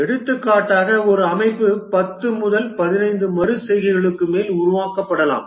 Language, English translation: Tamil, For example, a system may get developed over 10 to 15 iterations